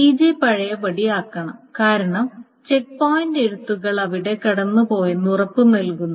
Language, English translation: Malayalam, So TJ must be undone because the checkpoint only guarantees that the rights have gone through there